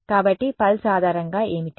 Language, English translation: Telugu, So, what is a pulse basis